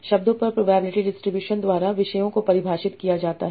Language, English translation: Hindi, Topics are defined by probability distribution over words